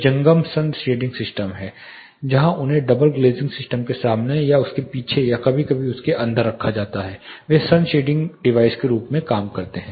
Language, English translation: Hindi, There are also movable sun shading system where they are placed in front of double glazing system or behind it or sometimes inside it they also act as sun shading devices